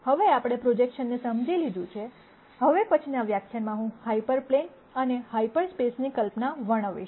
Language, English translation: Gujarati, Now that we have understood projections, in the next lecture I will describe the notion of an hyper plane and half spaces